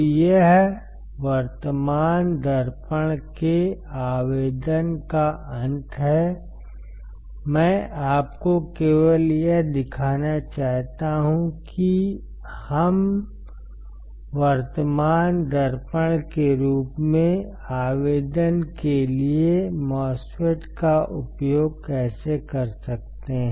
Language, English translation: Hindi, So, this is end of application of current mirror, I just wanted to show to you that how we can use MOSFET for a particular application that is the current mirror